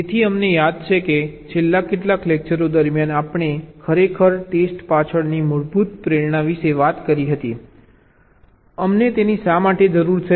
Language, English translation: Gujarati, so we recall, during the last few lectures we actually talked about the basic motivation behind testing: why do we need it